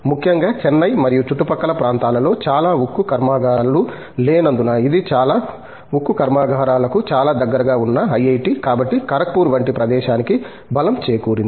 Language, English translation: Telugu, Particularly, because there are not too many steel plants in and around Chennai okay and that has been mostly the strength of places like IIT, Kharagpur which has been very close to so many steel plants